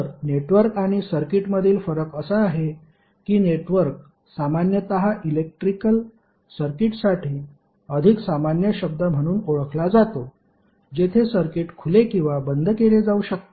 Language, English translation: Marathi, So the difference between network and circuit is that network is generally regarded as a more generic term for the electrical circuit, where the circuit can be open or closed